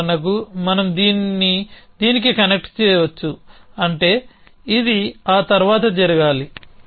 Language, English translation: Telugu, All connecting so for example, we can connect this to this which means this must happen after that